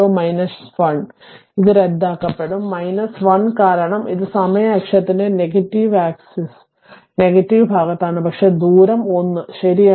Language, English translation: Malayalam, So, this will be cancel minus 1 because it is on the negative axis negative side of the time axis, but distance is 1 right